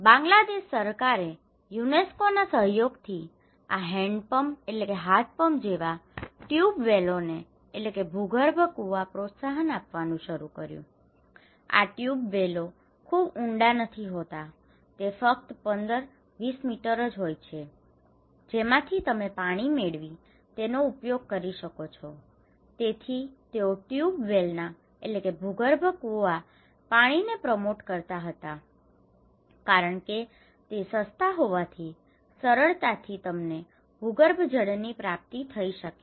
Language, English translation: Gujarati, They started to in collaboration with the UNESCO, the Bangladesh government started to promote these tube wells, which you can see the hand pumps kind of tube well, okay so, these tube wells are not very deep, only 15, 20 meters you can get water and you can use it so, they were hugely promoting tube well water which is cheap and which you can have the access to ground water